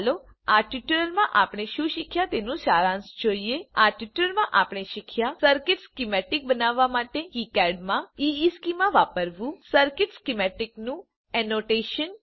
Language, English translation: Gujarati, Let us summarize what we learnt in this tutorial In this tutorial we learnt, To use EESchema in KiCad for creating circuit schematic Annotation of circuit schematic